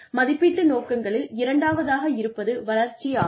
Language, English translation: Tamil, The second aim of appraisal is Development